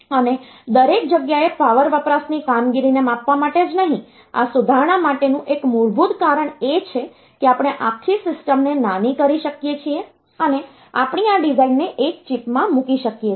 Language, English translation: Gujarati, And not only size the power consumption performance everywhere it is improving and one basic reason for this improvement is that we could miniaturized the whole system and we could put this the design into a single chip